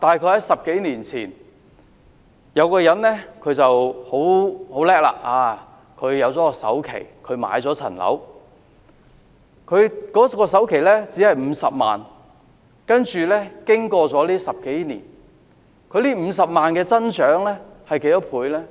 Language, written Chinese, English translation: Cantonese, 在10多年前，假設有一個人很厲害，儲夠首期買樓，他的首期只是50萬元，接着經過這10多年，這50萬元增長了多少倍呢？, Ten - odd years ago people who managed to save up a down payment for home purchase only needed 500,000 to do so . After ten - odd years how many times has this 500,000 grown?